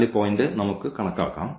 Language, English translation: Malayalam, So, let us compute the point of this intersection